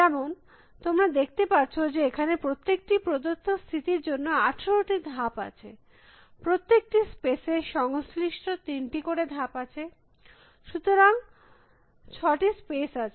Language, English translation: Bengali, As you can see there would be 18 possible moves for every given state, corresponding to the 3 moves for each space, so there are 6 spaces